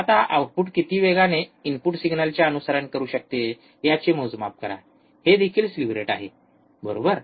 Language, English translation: Marathi, Maximum change, now measure of how fast the output can follow the input signal, this is also the slew rate all, right